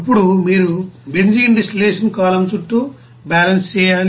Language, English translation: Telugu, Then you have to do the balance around benzene distillation column